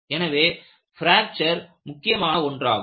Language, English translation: Tamil, So, fracture is important